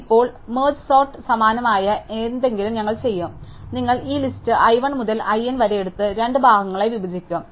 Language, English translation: Malayalam, So, now, we will do something similar to merge sort, so you will take this list i 1 to i n and divide in two parts